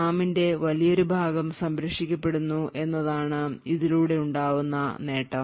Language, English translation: Malayalam, The advantage to we achieve with this is that a large portion of the RAM gets saved